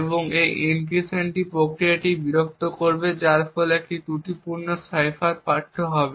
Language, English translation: Bengali, Now the fault is injected and it would disturb the encryption process resulting in a faulty cipher text